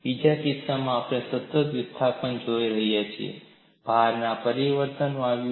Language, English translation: Gujarati, In the second case, we were looking at constant displacement; there was a change in the load